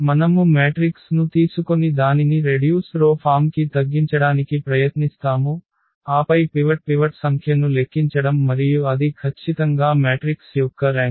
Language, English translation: Telugu, We just take the matrix and try to reduce it to the row reduced form and then count the number of pivots and that is precisely the rank of the matrix